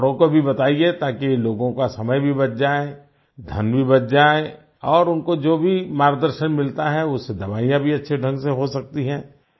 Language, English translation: Hindi, Tell others too so that their time is saved… money too is saved and through whatever guidance they get, medicines can also be used in a better way